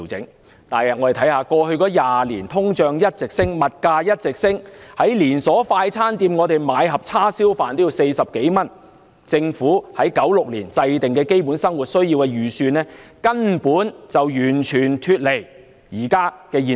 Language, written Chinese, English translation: Cantonese, 然而，通脹和物價在過去20年一直上升，現時在連鎖快餐店購買一盒叉燒飯也要40多元，政府在1996年就基本生活需要制訂的預算根本完全脫離目前的現實。, However inflation and prices have been rising continuously over the past 20 years . A lunchbox of rice with barbecued pork now costs 40 - odd in a chain fast food restaurant . The Basic Needs approach formulated by the Government in 1996 is entirely detached from reality nowadays